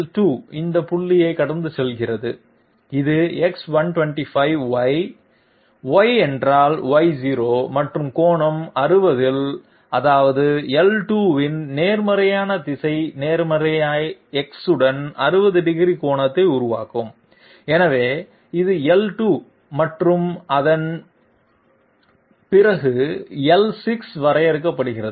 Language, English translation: Tamil, L2 is passing through this point, which is X125Y, Y means Y0 and at angle 60 that means the positive direction of L2 will be making an angle of 60 degree with the positive X, so this is L2 and after that L6 is defined